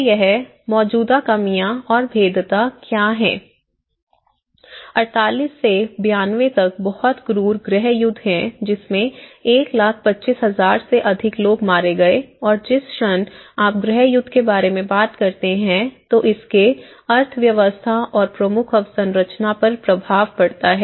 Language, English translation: Hindi, So, what are these existing shortages, existing vulnerabilities, from 78 to 92 there is a very cruel civil war which has killed more than 125,000 people and the moment you are talking about a civil war it have impact on the economy and the major infrastructures